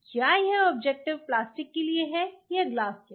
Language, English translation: Hindi, Is this objective for plastic or glass